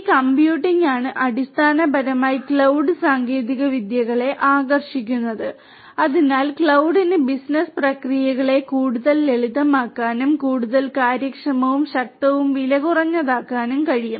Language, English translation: Malayalam, It is this computing that you know that basically attracts the cloud technologies, so where cloud can make the business processes much more simplified and much more efficient and powerful and also cheaper